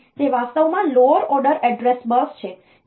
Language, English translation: Gujarati, So, they are actually the lower order address bus